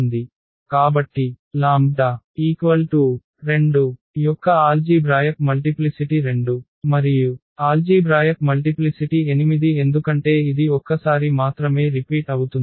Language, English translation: Telugu, So, that I the algebraic multiplicity of this 2 is 2 and the algebraic multiplicity of 8 because this is repeated only once